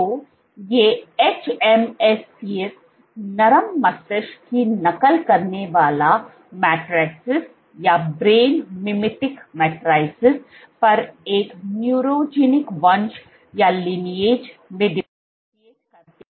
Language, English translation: Hindi, So, these hMSCs differentiated into a neurogenic lineage on soft brain mimetic matrices